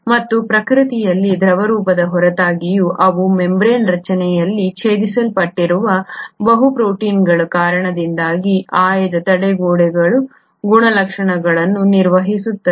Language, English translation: Kannada, And despite being fluidic in nature they maintain selective barrier properties because of multiple proteins which are present, interspersed in the membrane structure